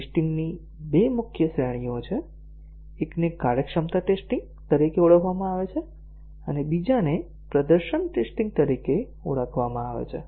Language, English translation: Gujarati, There are two major categories of tests; one is called as the functionality test and other is called as the performance test